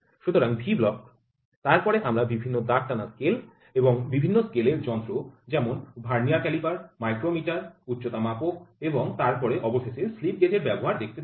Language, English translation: Bengali, So, V block then we saw various graduated scales and different scale instruments Vernier caliper, micrometer, height gauge and then finally, we saw use of slip gauges